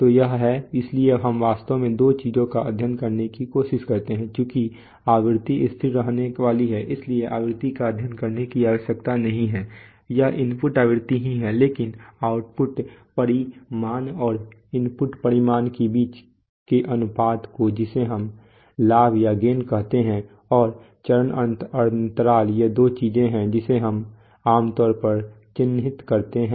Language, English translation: Hindi, So it is this, so we actually try to study two things, since the frequency is going to remain constant, so the frequency need not be studied it is the input frequency itself but the ratio between the input, between the output magnitude and the input magnitude which we call the gain and the phase lag these are the two things that we typically characterize